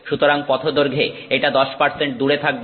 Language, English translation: Bengali, So, this is 10% away in path length